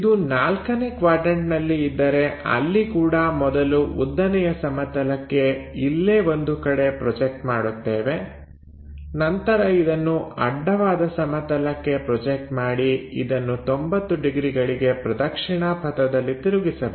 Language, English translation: Kannada, If it is fourth quadrant there also first the point projected onto vertical plane somewhere here, then project it on to horizontal plane rotate it by 90 degrees clockwise